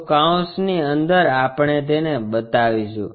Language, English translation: Gujarati, So, within the parenthesis we will show